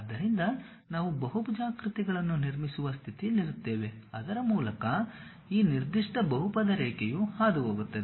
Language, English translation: Kannada, So, that we will be in a position to construct a polygons, through which this particular polynomial curve really passes